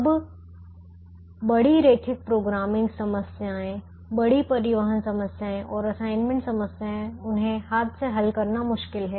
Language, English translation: Hindi, now, large linear programming problems, large transportation problems and assignment problems, it's difficult to solve them by hand